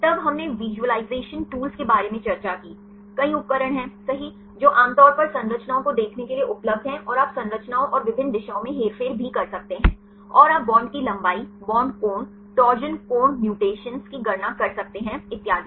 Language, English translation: Hindi, Then we discussed about the visualization tools, there are several tools right which are commonly available to view the structures and you can also manipulate the structures and different directions, and you can calculate the bond length, bond angles, torsion angles mutations and so on